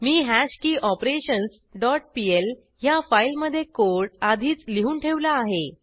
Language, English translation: Marathi, I have already typed the code in hashKeyOperations dot pl file